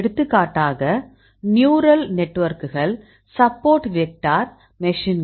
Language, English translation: Tamil, So, for example, neural networks, support vector machines